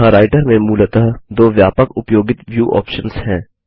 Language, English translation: Hindi, There are basically two widely used viewing options in Writer